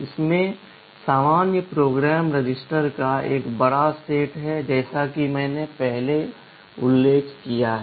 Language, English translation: Hindi, It has a large set of general purpose registers as I mentioned earlier